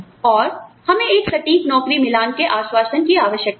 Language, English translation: Hindi, And, we need an assurance, of an accurate job match